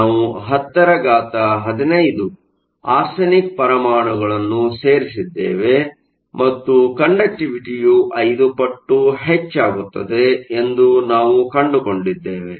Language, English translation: Kannada, We added 10 to the 15 arsenic atoms and we found that your conductivity has increased by more than 5 orders of magnitude